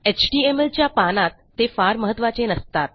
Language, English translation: Marathi, Theyre not vital in an html page